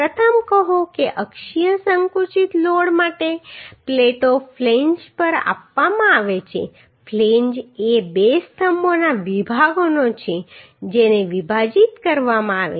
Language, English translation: Gujarati, Say first so for axial compressive loads the plates are provided on the flange flange is of the two columns sections to be spliced